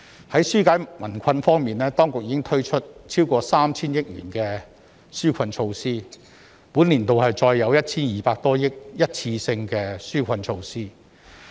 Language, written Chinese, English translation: Cantonese, 在紓解民困方面，當局已推出超過 3,000 億元的紓困措施，本年度再有 1,200 多億元的一次性紓困措施。, In terms of easing peoples hardship the authorities have introduced relief measures of more than 300 billion . This year one - off relief measures costing 120 billion will be introduced again